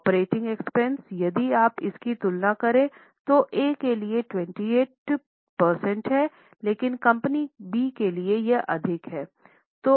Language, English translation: Hindi, Operating expenses if you compare for A it is 28% but for B it is higher